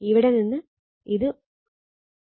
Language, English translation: Malayalam, 5 this is also 1